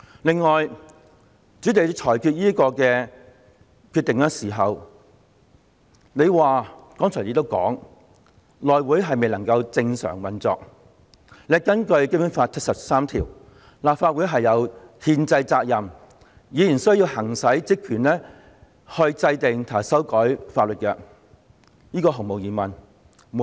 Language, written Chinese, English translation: Cantonese, 此外，主席，在作出這裁決時，你解釋是由於內會未能正常運作，而且，根據《基本法》第七十三條，立法會有責任行使制定及修改法例的憲制職權。, Furthermore President your justification for this ruling was that the House Committee was unable to operate normally while the Legislative Council had the responsibility to exercise its constitutional powers and functions to enact and amend laws under Article 73 of the Basic Law